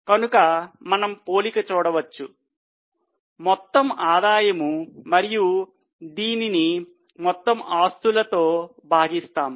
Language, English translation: Telugu, So, let us compare the total revenue and divided by total of all the assets